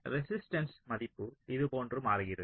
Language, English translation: Tamil, so the resistance value changes like this